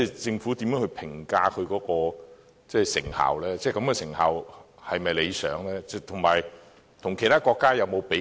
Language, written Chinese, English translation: Cantonese, 政府如何評價資助項目的成效，成效是否理想，以及有否與其他國家進行比較？, How does the Government assess the effectiveness of the funded projects is the result satisfactory and has any comparison been made with other countries?